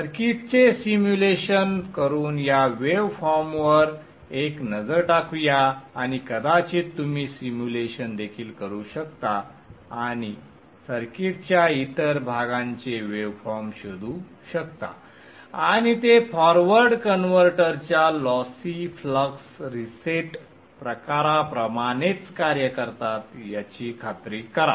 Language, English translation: Marathi, Let us have a look at this waveform by simulating the circuit and probably you can also do the simulation and find out the way forms of other parts of the circuit and ensure that they work similar to the lossy flux reset type of forward converter also